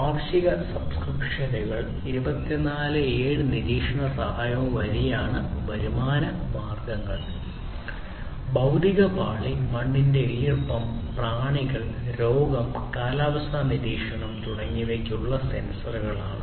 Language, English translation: Malayalam, The revenue streams are through yearly subscriptions 24X7 monitoring and assistance; the physical layer constitutes of sensors for soil moisture, insect, disease, climate monitoring and so on